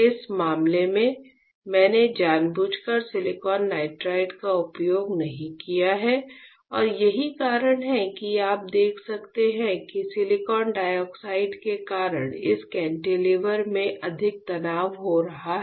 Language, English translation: Hindi, In this case, I deliberately have not use silicon nitride and that is why you can see this cantilever is having more stress because of the silicon dioxide